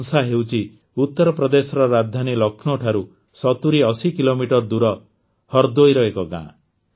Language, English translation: Odia, Bansa is a village in Hardoi, 7080 kilometres away from Lucknow, the capital of UP